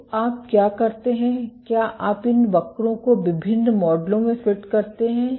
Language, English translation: Hindi, So, what you do is you fit these curves to various models